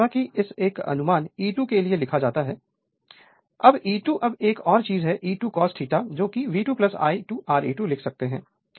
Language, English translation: Hindi, Now, as an approximation you can write for the E 2 now E 2 now another thing you can write the E 2 cos delta is equal to V 2 plus I 2 R e 2 that also we can write E 2 cos delta is equal to